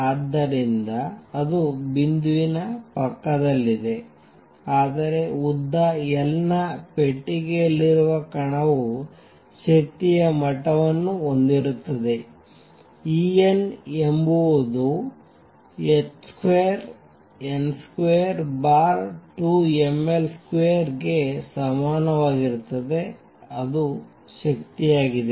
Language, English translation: Kannada, So, that is beside the point, but particle in a box of length L has energy levels E n is equal to h square n square divided by 2 m L square that is the energy